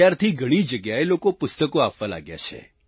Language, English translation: Gujarati, Since then, people have been offering books at many a place